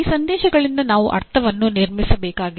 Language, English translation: Kannada, And I need to construct meaning from these messages